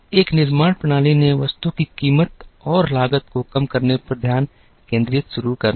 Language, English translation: Hindi, So, a manufacturing system started concentrating on reducing the price and cost of the item